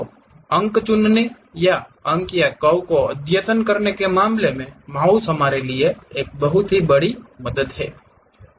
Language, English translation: Hindi, So, mouse is a enormous help for us in terms of picking the points or updating the points or curves